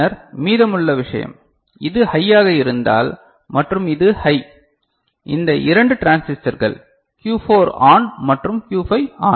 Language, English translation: Tamil, Then rest of the thing is if this is high and this is high so, thes3 2 transistors Q4 ON and Q5 ON ok